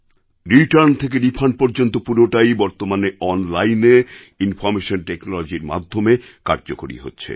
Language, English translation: Bengali, Everything from return to refund is done through online information technology